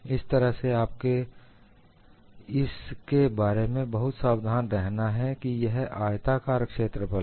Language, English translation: Hindi, So, you will have to be very careful about that, this is the rectangular area